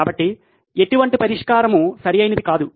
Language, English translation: Telugu, So no solution is perfect